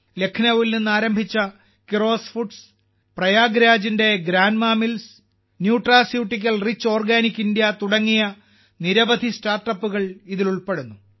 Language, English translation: Malayalam, This has given a lot of opportunities to the startups working in this field; these include many startups like 'Keeros Foods' started from Lucknow, 'GrandMaa Millets' of Prayagraj and 'Nutraceutical Rich Organic India'